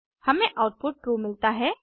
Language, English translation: Hindi, We get output as true